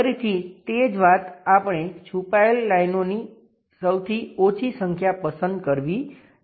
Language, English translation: Gujarati, Again same thing fewest number of hidden lines we have to pick